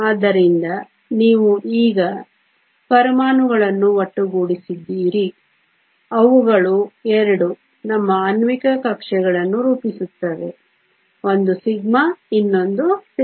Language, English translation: Kannada, So, You now have the atoms come together they form 2 our molecular orbitals 1 is sigma the other is sigma star